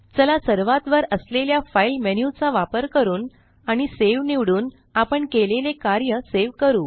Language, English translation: Marathi, Let us save our work by using the File menu at the top and choosing Save